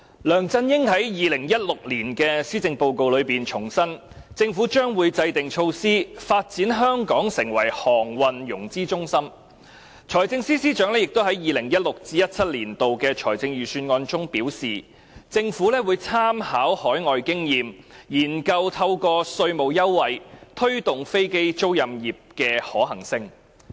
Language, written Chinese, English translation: Cantonese, 梁振英在2016年的施政報告重申，政府將會制訂措施，發展香港成為航空融資中心；財政司司長亦在 2016-2017 年度財政預算案中表示，政府會參考海外經驗，研究透過提供稅務優惠，推動飛機租賃業的發展。, In the 2016 Policy Address LEUNG Chun - ying reiterated the Government would formulate measures to develop Hong Kong into a centre for aerospace financing . The Financial Secretary likewise indicated in the 2016 - 2017 Budget that the Government would draw reference from overseas experience and study the promotion of the aircraft leasing industry with the grant of tax concession